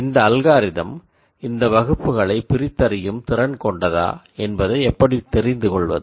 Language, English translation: Tamil, And how do you know that this algorithm distinguishes these classes